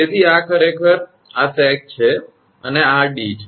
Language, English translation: Gujarati, So, this is actually this is the sag this and this is d